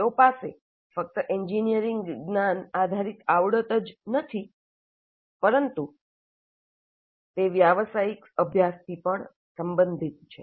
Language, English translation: Gujarati, They are not necessarily only engineering knowledge based competencies, but they are also related to the professional practice